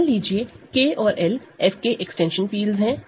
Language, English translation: Hindi, So, K and L are just field extensions of F